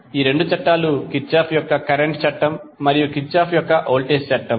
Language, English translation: Telugu, These two laws are Kirchhoff’s current law and Kirchhoff’s voltage law